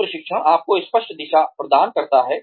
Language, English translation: Hindi, Team training gives you a clear sense of direction